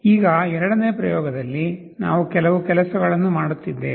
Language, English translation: Kannada, Now in the second experiment, we are doing certain things